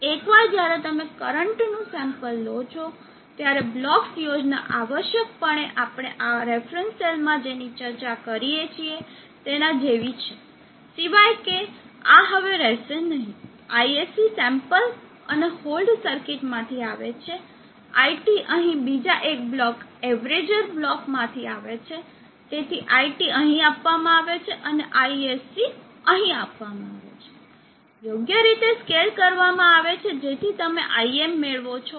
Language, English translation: Gujarati, So once you are sample the current the blocks scheme is essentially like what we discuss in the reference cell, except that this is no longer there, ISC is coming from the sample and hold, IT here is again coming from, another block which is the averager block, so IT is given here and ISC is given here, scaled appropriately you get IM